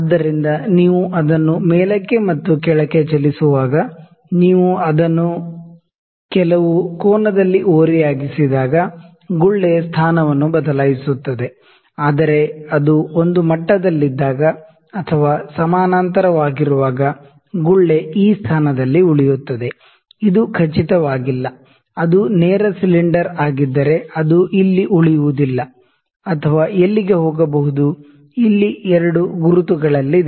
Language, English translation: Kannada, So, when you move it up and down, not up and down when you tilt it actually at some angle, the bubble would change it is position, but when it is at a level when it is parallel bubble will stay at this position; however, it is not sure, if it had been straight surrender, it is it wouldn’t be share it would stay here or here over wherever it could go, the 2 markings here